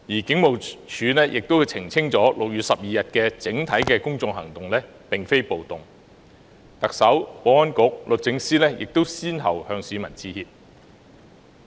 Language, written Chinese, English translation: Cantonese, 警務處亦澄清6月12日的整體公眾行動並非暴動，特首、保安局局長及律政司司長亦先後向市民致歉。, The Hong Kong Police Force also clarified that the overall action of members of the public on 12 June was not a riot . The Chief Executive the Secretary for Security and the Secretary for Justice also apologized to the public one after another